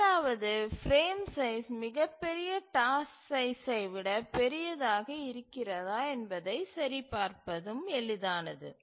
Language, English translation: Tamil, The second one is also easy that the frame size must be larger than the largest task size